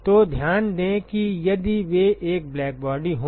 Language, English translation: Hindi, So, note that if they were to be a black body